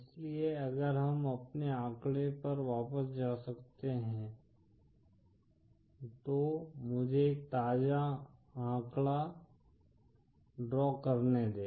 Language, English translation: Hindi, So if we can go back to our figure, let me draw a fresh figure